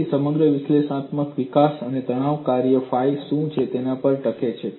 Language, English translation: Gujarati, So, the whole of analytical development hinges on what is the stress function phi